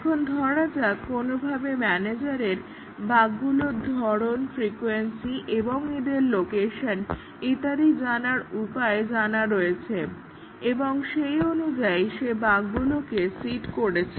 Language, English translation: Bengali, Now, let us assume that, somehow, the manager has a way to know the type of bugs, their frequency, and their location and so on and he seeds the bug accordingly